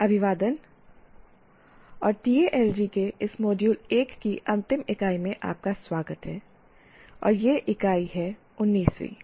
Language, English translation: Hindi, Greetings and welcome to the last unit of this module 1 of Talji, and this unit is 19th unit